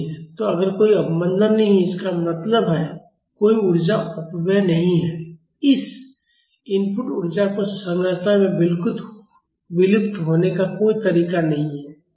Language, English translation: Hindi, So, if there is no damping; that means, there is no energy dissipation there is no way this input energy is dissipated in the structure